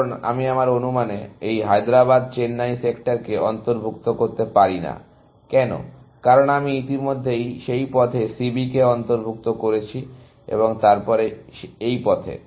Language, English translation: Bengali, Because I cannot include in my estimate, this Hyderabad Chennai sector, why, because I have already included C B in that path, and then, in this path